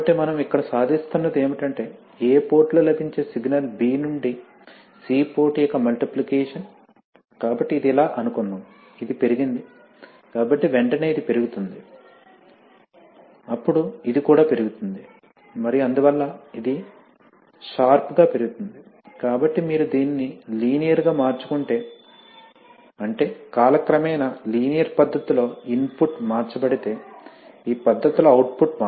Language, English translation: Telugu, So what we are achieving here is that, the, see, the signal available at the A port is a multiplication of B to C port, so suppose this is, this is increased, so immediately this will increase then, then this will, this will also increase and therefore this will increase sharper, so what happens is that, if you, if you change this linearly, that is, if the, if the input is changed in a linear fashion over time then the output will change in this fashion, right